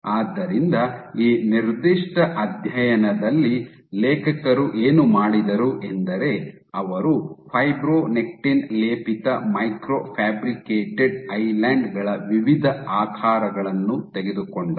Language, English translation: Kannada, So, what the author is did in this particular study was they took a variety of shapes of microfabricated islands coated with fibronectin